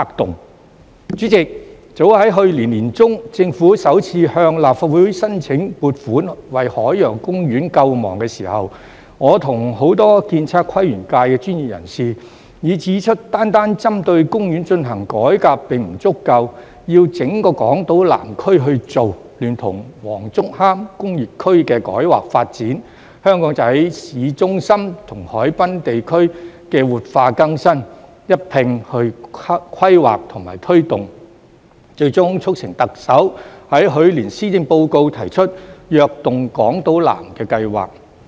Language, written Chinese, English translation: Cantonese, 代理主席，早於去年年中，政府首次向立法會申請撥款為海洋公園救亡時，我和很多建測規園界的專業人士已指出單單針對公園進行改革並不足夠，要整個港島南區去做，聯同黃竹坑工業區的改劃發展、香港仔巿中心和海濱地區的活化更新一併規劃和推動，最終促成特首在去年施政報告提出"躍動港島南"計劃。, Deputy President when the Government sought funding approval from the Legislative Council to save Ocean Park for the first time as early as in the middle of last year many professionals in the architectural surveying town planning and landscape sectors and I pointed out that reforms targeting Ocean Park alone were not enough . The entire Southern District of Hong Kong Island should be taken into account and planning and implementation must be undertaken alongside the rezoning of the industrial area of Wong Chuk Hang and the revitalization and renewal of Aberdeen Town Centre and waterfront area . This will finally help to materialize the Chief Executives Invigorating Island South initiative announced in the Policy Address last year